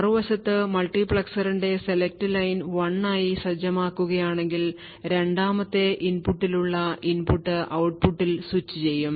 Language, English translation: Malayalam, On the other hand, if the select line of the multiplexer is set to 1 then the input present at the 2nd input that is this input would be switched at the output